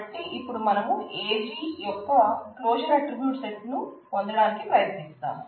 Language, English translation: Telugu, So, we are trying to find the closure of the set of attributes AG